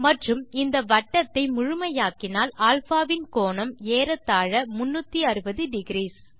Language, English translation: Tamil, And if I complete this circle we notice that the angle of α will be almost 360 degrees